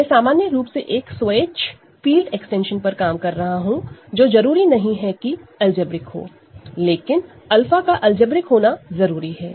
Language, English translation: Hindi, I am working in general with an arbitrary field extension which may not be algebraic, but alpha needs to be algebraic